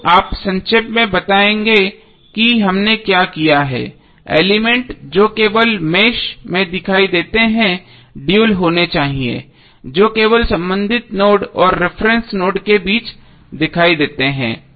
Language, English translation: Hindi, So now let us summaries what we have done the elements that appear only in one mesh must have dual that appear between the corresponding node and reference node only